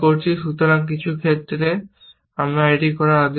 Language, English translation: Bengali, So, there is an order in some cases, essentially